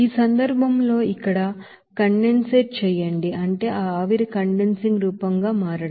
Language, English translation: Telugu, Here condensate here in this case only simply that is to convert that vapor into condensing form